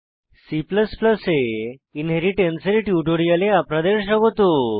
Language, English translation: Bengali, Welcome to the spoken tutorial on Inheritance in C++